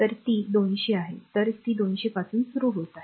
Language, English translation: Marathi, So, it is 200; so, it is starting from 200 right